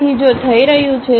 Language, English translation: Gujarati, So, if that is happening